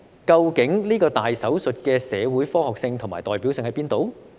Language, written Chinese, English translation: Cantonese, 究竟這個"大手術"的社會科學性和代表性在哪裏？, Where is the socio - scientific basis and representativeness of this major operation?